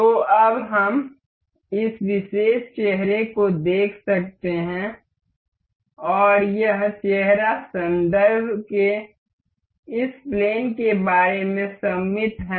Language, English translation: Hindi, So, now, we can see this particular face and this face is symmetric about this plane of reference